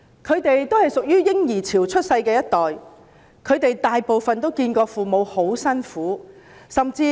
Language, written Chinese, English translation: Cantonese, 他們是在"嬰兒潮"出生的一代，大部分均目睹父母艱苦工作。, They are the generation born during the baby boom and most of them have witnessed their parents working very hard